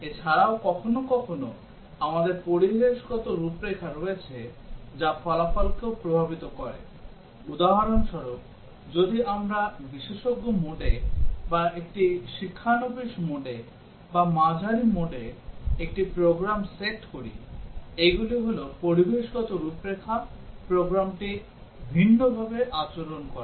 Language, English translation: Bengali, Also sometimes, we have environmental configurations which also affect the result, for example, if we set a program in the expert mode, or in a novice mode, or moderate mode so these are environmental configurations the program behaves differently